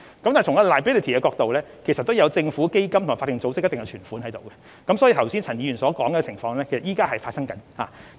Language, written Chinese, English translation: Cantonese, 但是，從 liability 的角度，當中也有政府基金和法定組織的存款，所以現時已存在陳議員剛才所說的情況。, However from the perspective of liability government funds and deposits of statutory organizations are also included and the arrangements suggested by Mr CHAN are in fact already in place